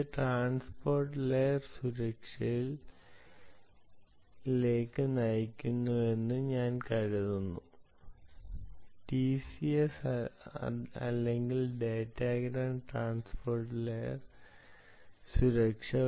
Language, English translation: Malayalam, i think this is going to hold the key to transport layer security: either tls or datagram transport layer security